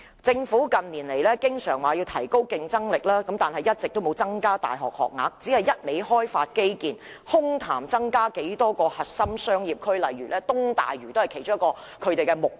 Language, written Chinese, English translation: Cantonese, 政府近年經常說要提高競爭力，卻一直沒有增加大學學額，只顧開發基建，空談增加多少個核心商業區，而東大嶼便是其中一個目標。, In recent years the Government has often talked about enhancing our competitiveness but the number of university places has not been increased . The Government is only concerned about implementing infrastructure development and setting up a few more core business districts one of which is the East Lantau Metropolis . All these are just empty talks